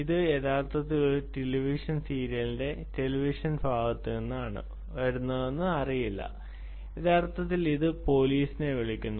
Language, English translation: Malayalam, ah, if it is really it doesn't know that is actually coming from a television part of a television serial and actually it calls the police, ah